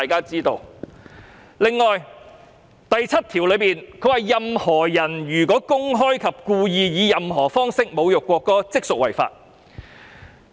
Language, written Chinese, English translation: Cantonese, 此外，《條例草案》第72條訂明，"任何人如公開及故意以任何方式侮辱國歌，即屬犯罪。, On the other hand clause 72 of the Bill provides that a person commits an offence if the person publicly and intentionally insults the national anthem in any way